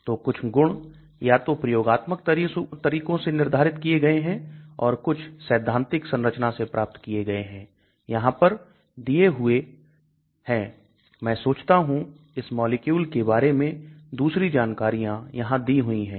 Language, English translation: Hindi, So some properties either experimentally determined or properties which are obtained from theoretical modeling are given in addition I think other information is also given about this molecule